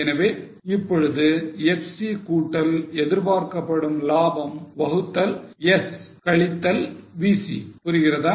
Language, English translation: Tamil, So, now FC plus expected profit is in the numerator divided by S minus VC